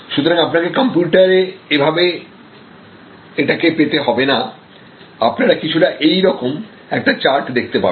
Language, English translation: Bengali, So, you do not have to get this on the computer, you will get a charts something that looks like this